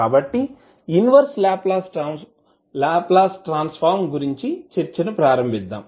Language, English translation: Telugu, So, let us start the discussion about the inverse Laplace transform